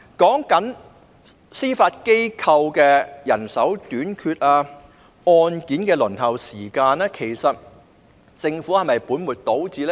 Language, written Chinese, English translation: Cantonese, 至於司法機構人手短缺、案件輪候時間等問題，其實政府是否本末倒置呢？, In regard to the issues of manpower shortage of the Judiciary and the long waiting time for cases to be heard is the Government actually putting the cart before the horse?